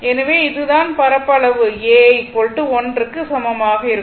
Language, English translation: Tamil, So, this is the area A is equal to l into b right